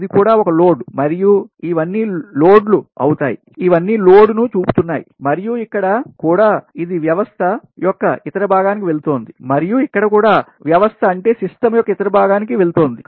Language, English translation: Telugu, again, this is also same thing: keep a loads, and these are all load, these are all showing load, and here also, it maybe going to the other part of the system, so to rest of the system